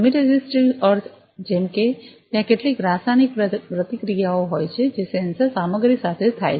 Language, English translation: Gujarati, Chemi resistive means; like there is some chemical reaction that happens with the sensor material that is there